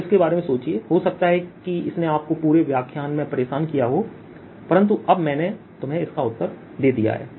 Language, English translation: Hindi, it may have bothered you throughout the lecture, but now i have given you the answer